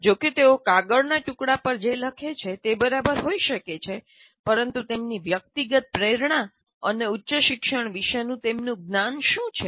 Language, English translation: Gujarati, Though whatever they write on a piece of paper may be all right, but what is their personal motivation and their knowledge of higher education